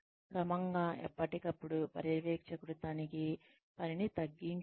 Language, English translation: Telugu, Gradually, decrease supervision checking work, from time to time